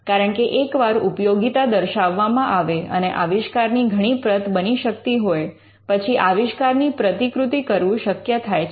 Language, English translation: Gujarati, Because once there is usefulness demonstrated, and it can be made in multiple copies, you can replicate the invention, why would you replicate an invention in multiple copies